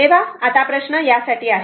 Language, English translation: Marathi, So, now question is that for